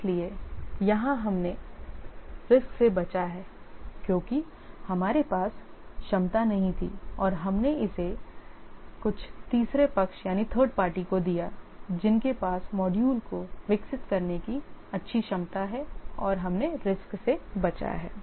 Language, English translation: Hindi, So, here we have avoided the risk because we didn't have capability and we gave it to some third party who have good capability of developing the module and we have avoided the risk